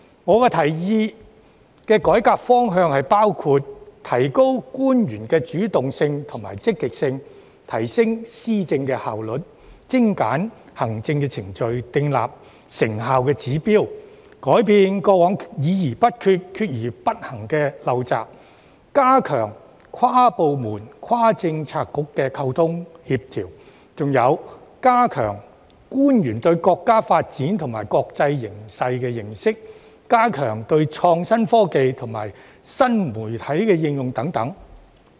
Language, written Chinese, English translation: Cantonese, 我提議的改革方向包括：提高官員的主動性及積極性；提升施政效率、精簡行政程序、訂立成效指標，改變過往議而不決、決而不行的陋習；加強跨部門、跨政策局的溝通協調；加強官員對國家發展及國際形勢的認識，以及加強創新科技及新媒體應用等。, The directions of reform that I propose include boosting the initiative and motivation of government officials; enhancing the efficiency in governance streamlining administrative procedures setting performance targets rectifying the undesirable practice of discussing without making decisions and deciding without taken actions; stepping up communication and coordination across departments and Policy Bureaux; strengthening the understanding of national development and international situation among officials as well as enhancing innovative technology and new media applications